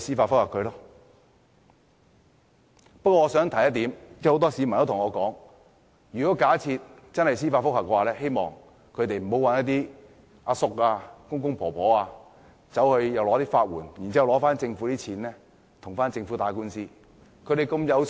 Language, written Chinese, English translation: Cantonese, 不過，我想提出一點，很多市民對我說，假設真的有人提出司法覆核，希望他們不要找一些大叔、公公或婆婆申請法律援助，用政府的錢跟政府打官司。, Nevertheless I wish to point out that many people think that should some people really wish to file judicial reviews they should not ask some uncles or elderly people to apply for legal aid to launch a legal battle with the Government